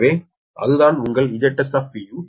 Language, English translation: Tamil, so that is that j your z s p